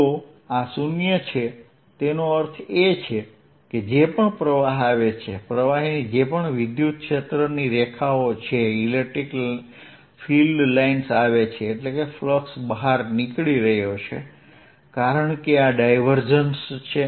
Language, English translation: Gujarati, if this is zero, that means whatever fluxes coming in, whatever electric filed lines a flux is coming in, say, flux is going out because this divergence is zero